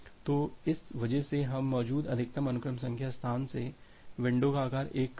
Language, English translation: Hindi, So, because of this we keep window size 1 less than the maximum sequence number space that you have